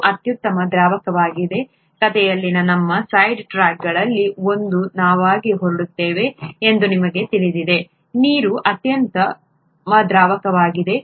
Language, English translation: Kannada, Water happens to be an excellent solvent, you know we are off to one of our side tracks in the story, water is an excellent solvent